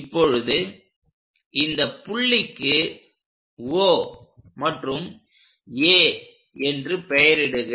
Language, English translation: Tamil, Now, name these points as O and this point as A